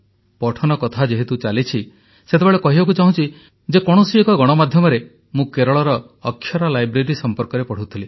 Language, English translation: Odia, Now that we are conversing about reading, then in some extension of media, I had read about the Akshara Library in Kerala